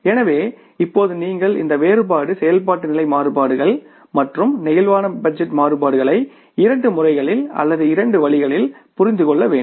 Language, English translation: Tamil, So now how you have to understand this difference activity level variances and the flexible budget variances in two manners in two ways